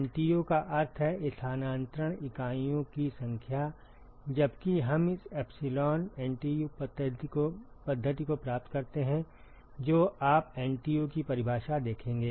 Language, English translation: Hindi, NTU stands for Number of Transfer Units, while we derive this epsilon NTU method you will see the definition of NTU